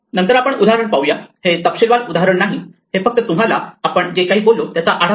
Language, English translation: Marathi, So, let us look at a kind of example this would not be a detailed example it will just give you a flavor of what we are talking about